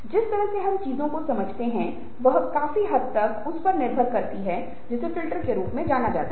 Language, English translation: Hindi, rather, the way that we construct meanings, the way we understand things, depend to a great extent on what are known as filters